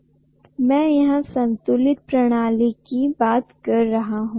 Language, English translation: Hindi, I am talking about balanced system